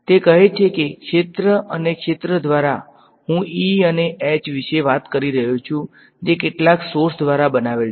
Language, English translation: Gujarati, So, it says that the field and by field I am talking about E and H created by some sources J ok